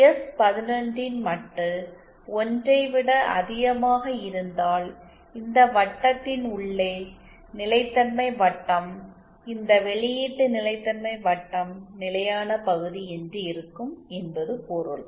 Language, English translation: Tamil, If modulus of s11 is greater than 1 then it means the inside of this circle the stability circle this output stability circle is the stable region